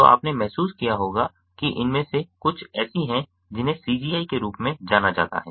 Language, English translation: Hindi, so you must have realized most of these are something which is known as c g i